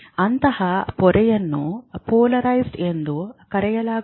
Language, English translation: Kannada, Such a membrane is called polarized